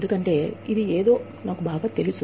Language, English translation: Telugu, Because, this is something, I know best